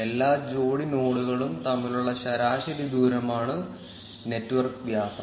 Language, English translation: Malayalam, Network diameter is the average distance between all pair of nodes